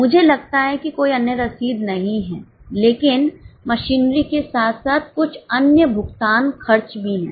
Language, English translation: Hindi, I think there is no other receipt but there are few other payments, expenses as well as machinery